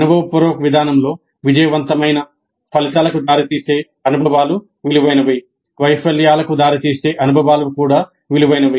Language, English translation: Telugu, In experiential approach experiences which lead to successful results are valuable, experiences which lead to failures are also valuable